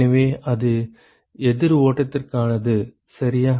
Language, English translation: Tamil, So, that is for the counter flow ok